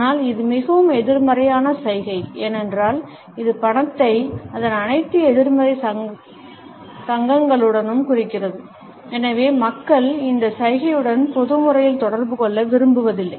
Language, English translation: Tamil, But this is a highly negative gesture, because it indicates money with all its negative associations and therefore, people do not like to be associated with this gesture in a public manner